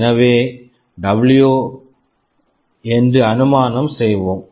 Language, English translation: Tamil, So, height let us assume this is also W